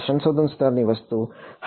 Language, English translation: Gujarati, Research level thing yeah